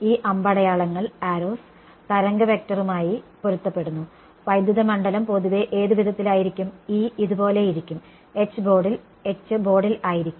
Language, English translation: Malayalam, These arrows correspond to the wave vector which way will the electric field be in general, E will be like this right and H will be into the board right